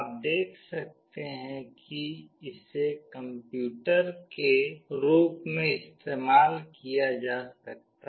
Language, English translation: Hindi, You can see that it can be used as a computer itself